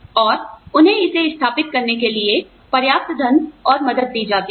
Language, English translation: Hindi, And, they are given enough money, to set it up